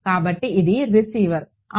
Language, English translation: Telugu, So, this is Rx yeah